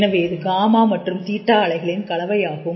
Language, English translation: Tamil, So, this is a blending of gamma and theta oscillations